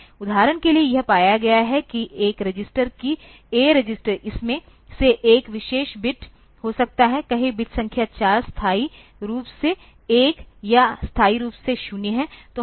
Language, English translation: Hindi, For example, it has got that a register, that A register may be one particular bit of it, say bit number 4 of it is permanently 1 or permanently 0